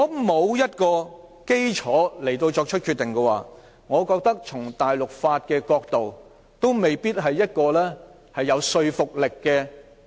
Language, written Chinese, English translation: Cantonese, 欠缺法律基礎的決定，我覺得從大陸法的角度看，也未必有說服力。, In my opinion a decision without a legal basis might not be convincing even judging from the angle of civil law